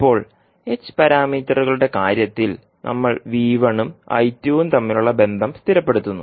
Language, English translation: Malayalam, Now in case of h parameters we stabilize the relationship between V1 and I2